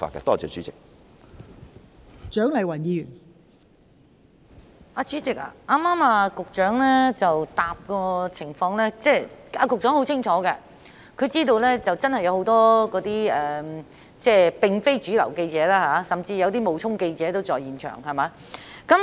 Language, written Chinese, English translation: Cantonese, 代理主席，局長剛才的答覆，顯示他很清楚有很多非主流媒體記者，甚至有些冒充記者的人在公眾活動現場。, Deputy President the reply of the Secretary indicates that he clearly knows that there are many non - mainstream reporters and some people even impersonate reporters at the scenes of public events